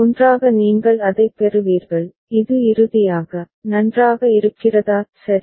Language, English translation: Tamil, Together you will get it so, this is finally, is it fine – right